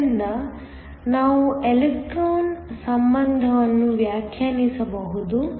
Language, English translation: Kannada, So, we can define an Electron affinity